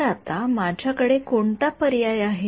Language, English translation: Marathi, So now, what choice do I have